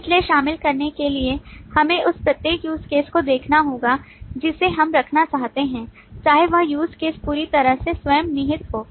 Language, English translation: Hindi, So for include, we will need to look at for each and every use case that we intend to put whether that use case is completely self contained